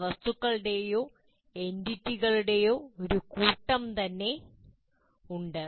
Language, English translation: Malayalam, There are a set of some objects or entities as you call